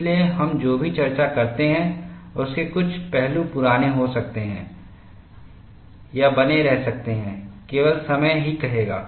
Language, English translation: Hindi, So, certain aspects of whatever we discuss, may get outdated or may remain; only time will say